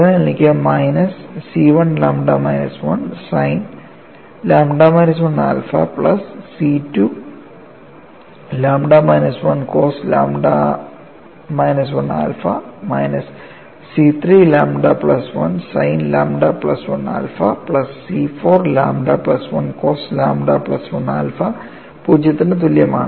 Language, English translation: Malayalam, The next equation is C 1 lambda minus 1 sin lambda minus 1 alpha C 2 multiplied by lambda minus 1 cos lambda minus 1 alpha plus C 3 lambda plus 1 sin lambda plus 1 alpha plus C 4 lambda plus 1 into cos lambda plus 1 alpha equal to 0